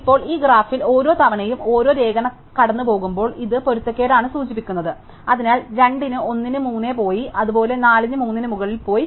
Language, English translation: Malayalam, Now, in this graph every time a line crosses this indicates a mismatch, so 2 has a gone ahead of 1, likewise 4 is gone ahead of 3 and so on